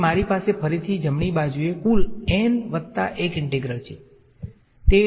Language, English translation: Gujarati, So, I have a total of n plus 1 integrals on the right hand side again